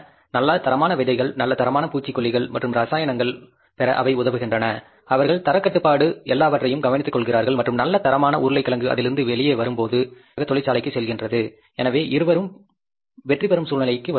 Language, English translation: Tamil, They help them to get the good quality seeds, good quality pesticides and chemicals, they take care of the quality control, everything and that good quality potato waste when comes out of it, directly goes to the factory, so both are in the wind win situation